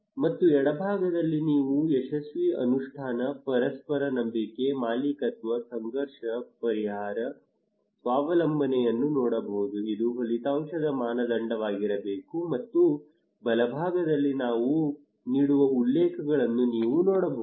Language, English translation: Kannada, And the left hand side you can see successful implementation, mutual trust, ownership, conflict resolution, self reliance this should be the outcome criterion and right hand side you can see the references we give